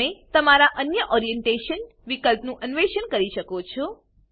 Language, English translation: Gujarati, You can explore the other Orientation options on your own